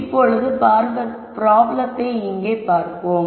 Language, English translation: Tamil, Now, let us look at this problem right here